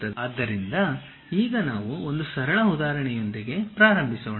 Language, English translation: Kannada, So, now let us begin with one simple example